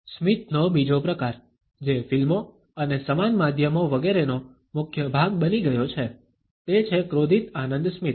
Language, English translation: Gujarati, Another type of a smile which has become a staple of films and similar media etcetera is the angry enjoyment smile